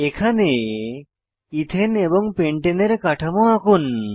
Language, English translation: Bengali, Here is an assignment Draw Ethane and Pentane structures